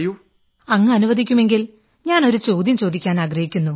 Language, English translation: Malayalam, If you permit sir, I would like to ask you a question